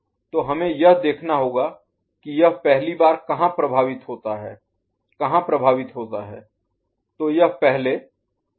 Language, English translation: Hindi, So, we have to see where it gets first affected, where it first affects